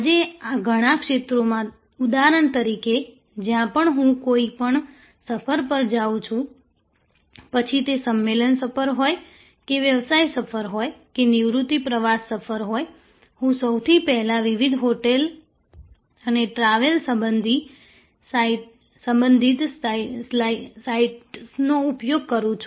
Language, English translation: Gujarati, In many fields today for example, whenever I go to on any trip, be it a conference trip or a business trip or a leisure tourism trip, I first use various hotel and travel related sites to use their filters